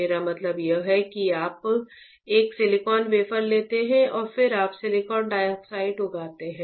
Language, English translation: Hindi, What I mean is you take a silicon wafer right and then you grow silicon dioxide